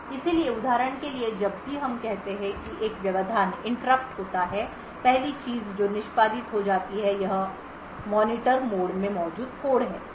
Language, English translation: Hindi, So for example whenever there is let us say that an interrupt occurs the first thing that gets executed is code present in the Monitor mode